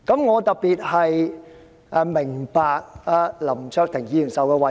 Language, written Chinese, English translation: Cantonese, 我特別能夠明白林卓廷議員的委屈。, I can particularly understand the frustration of Mr LAM Cheuk - ting